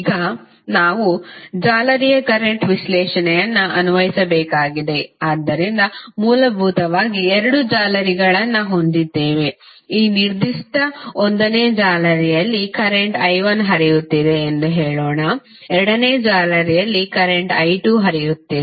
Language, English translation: Kannada, Now, we have to apply mesh current analysis, so we will have essentially two meshes which we can create say let us say that in this particular mesh current is flowing as I 1, in this mesh current is flowing as I 2